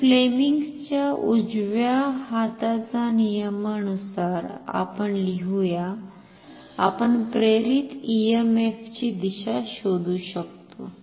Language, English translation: Marathi, So, let us write with the application of Fleming’s right hand rule, we can find the direction of induced EMF